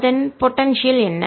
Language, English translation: Tamil, what is the potential